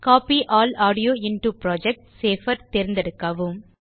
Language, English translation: Tamil, Select Copy All Audio into Project option